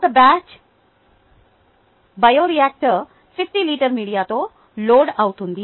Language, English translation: Telugu, something like this: a batch bioreactor is loaded with fifty liters of media